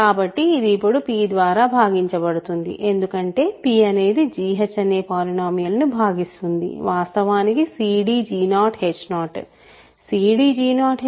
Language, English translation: Telugu, So, this now is divisible by p, because p divides the polynomial g h which is actually c d g 0 h 0